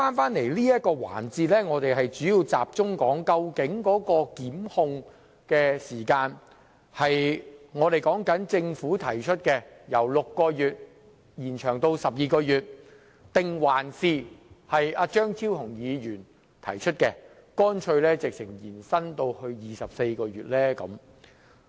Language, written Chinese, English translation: Cantonese, 在現時這個環節，我們主要集中討論的是究竟檢控時限應採納政府提出的建議，即由6個月延長至12個月，還是張超雄議員提出的建議，即乾脆延長至24個月。, We all understand this . In the current session the focus of our discussion is whether we should adopt the Governments proposal of extending the time limit for prosecution from 6 months to 12 months or Dr Fernando CHEUNGs proposal of simply extending it to 24 months